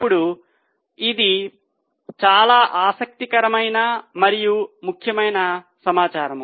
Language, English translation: Telugu, Now this is a very interesting and important information